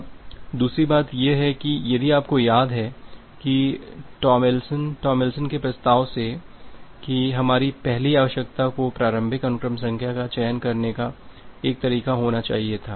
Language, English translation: Hindi, Now, the second thing is that, if you remember that the Tomlinson’s, from the Tomlinson’s proposal that our first requirement was to have a to have a way to selecting the initial sequence number